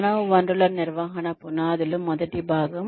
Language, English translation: Telugu, The foundations of Human Resources Management, Part One